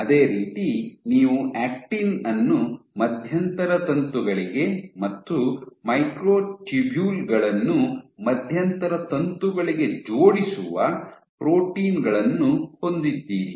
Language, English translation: Kannada, Similarly you have proteins which link the actin to the intermediate filaments and the microtubules to the intermediate filaments